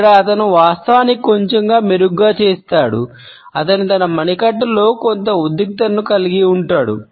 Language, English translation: Telugu, Here he actually does a little bit better he is got some tension going on in his wrist